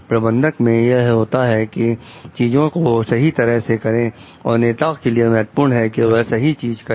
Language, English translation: Hindi, In managers, it is do things right and for leaders, it is do the right things